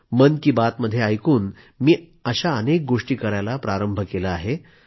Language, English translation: Marathi, Taking a cue from Mann Ki Baat, I have embarked upon many initiatives